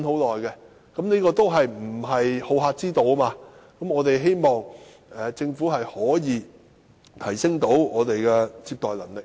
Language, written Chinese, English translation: Cantonese, 這些均非好客之道，我們希望政府可以提升接待旅客的能力。, This is not good hospitality . We hope the Government will enhance Hong Kongs visitor receiving capability